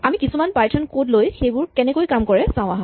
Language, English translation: Assamese, Let us look at some python code and see how this actually works